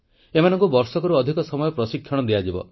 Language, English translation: Odia, They will be trained for over a year